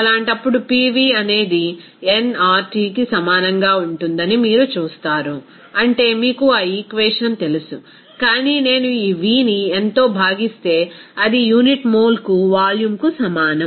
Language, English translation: Telugu, In that case, you will see that PV will be equal to nRT, that is you know that equation, but if I divide this V by n, that will be is equal to volume per unit mole